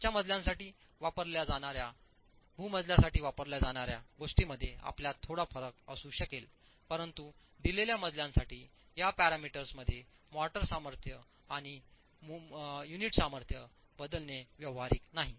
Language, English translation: Marathi, You might have some difference between what is used for the ground story versus what is used for the upper stories, but in a given story changing these parameters, motor strength and unit strength is not practical